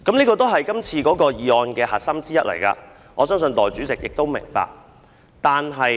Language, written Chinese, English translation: Cantonese, 這是今次修訂的其中一個核心議題，我相信代理主席也明白。, This is one of the core issues of the amendments this time which I believe Deputy President will understand